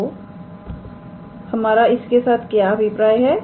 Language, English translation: Hindi, So, what do we mean by this